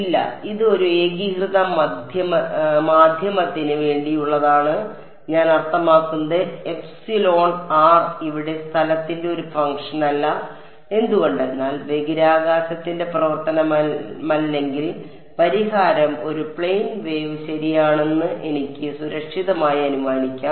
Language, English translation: Malayalam, No, this epsilon r is for a homogeneous medium I mean epsilon r is not a function of space over here why because if epsilon r is not a function of space then I can safely assume that the solution is a plane wave correct